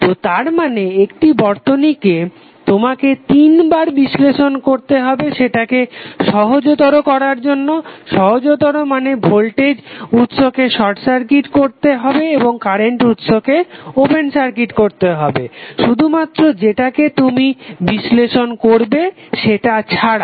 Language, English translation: Bengali, So it means that the same circuit you have to analyze 3 times by making them simpler, simpler means the current voltage sources would be either short circuited or current source would be open circuited and voltage source would be open circuited except 1 which you are going to analyze in that circuit